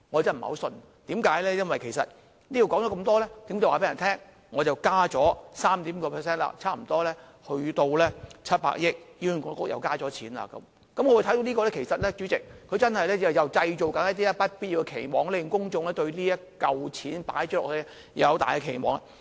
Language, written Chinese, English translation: Cantonese, 因為說這麼多，其實是要告訴大家，政府已增加 3.5% 撥款，差不多達700億元，醫管局又獲增加撥款，主席，我看到的是政府又在製造不必要的期望，令公眾對投放的這筆錢抱有很大期望。, It is because after saying so much the Government actually wants to tell us that it has already increased the health care funding by 3.5 % to nearly 70 billion and that more funding has been provided to HA . President to me the Government is once again creating unnecessary expectation making members of the public have high expectation about such additional funding